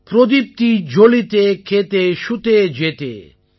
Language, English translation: Tamil, ProdeeptiJaliteKhete, Shutee, Jethe